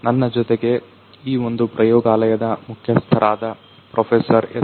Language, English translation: Kannada, So, I have with me over here the lead of this particular lab Professor S